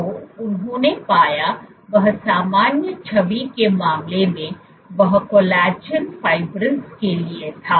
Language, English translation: Hindi, So, what they found was in case of normal the image to the collagen fibrils